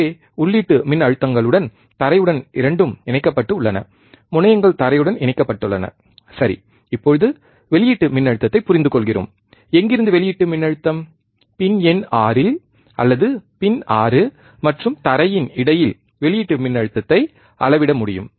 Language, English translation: Tamil, So, with the input voltages are ground both the terminals are grounded ok, now we are understanding output voltage, from where output voltage, we can measure the output voltage at pin number 6 with or between pin number 6 and ground